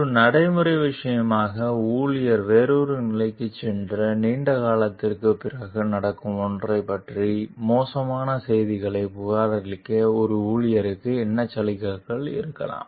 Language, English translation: Tamil, As a practical matter, what incentives might an employee have for reporting bad news of something that will happen long after the employee has moved to another position